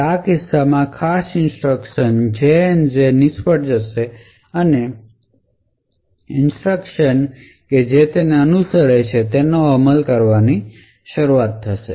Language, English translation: Gujarati, Now in such a case jump on no 0 label so this particular instruction would fail and the instruction that follows needs to be executed